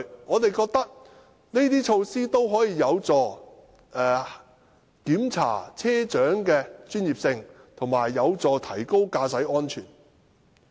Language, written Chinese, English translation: Cantonese, 我們覺得這些措施有助查核車長的專業性，亦有助提高駕駛安全。, We think these measures can help verify the professionalism of bus captains and also enhance driving safety